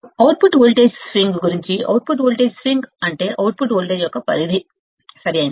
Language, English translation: Telugu, About the output voltage swing, the output voltage swing is the range of output voltage, right